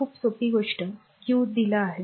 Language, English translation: Marathi, Very simple thing q is given